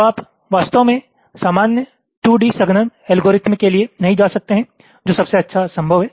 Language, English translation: Hindi, so you really cannot go for general two d compaction algorithm, which is the best possible